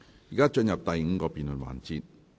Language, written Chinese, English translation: Cantonese, 現在進入第五個辯論環節。, We now proceed to the fifth debate session